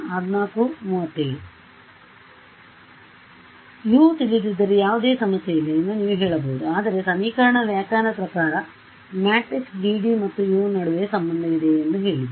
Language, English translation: Kannada, So, you may say that U is not known no problem, I have a state equation that state equation told me that there is a relation between that use the matrix GD